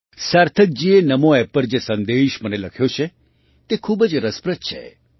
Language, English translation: Gujarati, The message that Sarthak ji has written to me on Namo App is very interesting